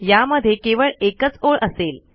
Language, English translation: Marathi, It should have one line